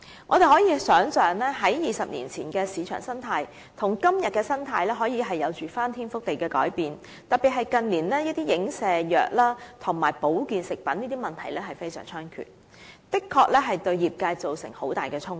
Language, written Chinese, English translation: Cantonese, 我們可以想象 ，20 年前的市場生態與今天的市場生態可以有翻天覆地的改變，特別是近年的一些影射藥和保健食品等的問題非常猖獗，的確對業界造成很大衝擊。, We can thus imagine what sea change has occurred in the market conditions nowadays compared with those two decades ago . In particular the problems related to medicines alluding to particular trade marks health food and so on are rampant and have impacted heavily on the industry